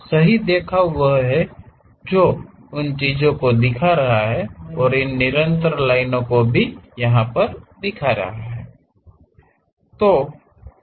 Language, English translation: Hindi, The right representation is having those thing and also having these continuous lines